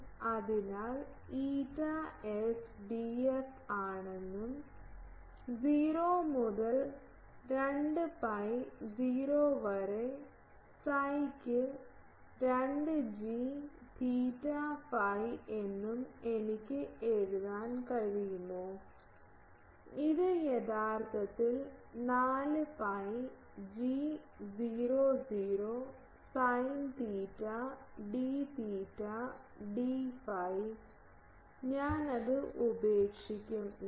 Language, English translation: Malayalam, So, can I write that eta S is D f then 0 to 2 pi 0 to psi by 2 g theta phi by actually, this will come out 4 pi g 0 0 sin theta d theta d phi ok, I leave it here ok